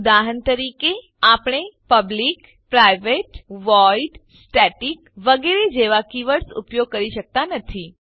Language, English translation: Gujarati, For example: cannot use keywords like public, private, void, static and many more